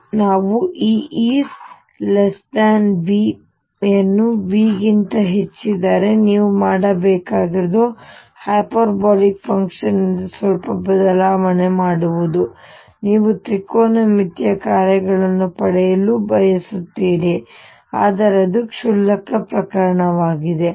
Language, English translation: Kannada, And we are taking the case where E is less than V if E is greater than V all you have to do is make a slight change from the hyperbolic function you want to get a trigonometric functions, but that is a trivial case